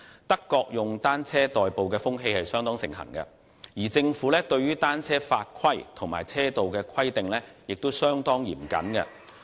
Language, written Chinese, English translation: Cantonese, 德國以單車代步的風氣相當盛行，而政府對於單車法規和車道的規定亦相當嚴謹。, It is quite popular to use cycling as a mode of transport in Germany and the government there imposes stringent regulations on cycling and bicycle lanes